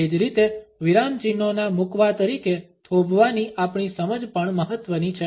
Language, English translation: Gujarati, Similarly our understanding of pause as a substitute of the punctuation marks is also important